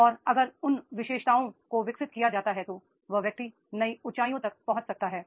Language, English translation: Hindi, But nobody has explored that and then if those qualities are developed, the person can reach to the new heights